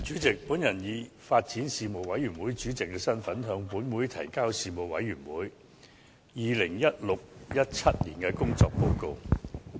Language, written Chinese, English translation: Cantonese, 主席，我以發展事務委員會主席的身份，向本會提交事務委員會 2016-2017 年度的工作報告。, President in my capacity as Chairman of the Panel on Development the Panel I submit to this Council the report on the work of the Panel for the 2016 - 2017 session